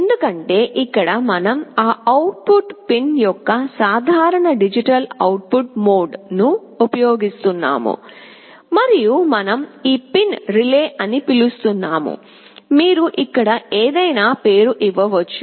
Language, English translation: Telugu, Because, here we are using a simple digital output mode of that output pin and we are calling this pin as “relay”, you can give any name here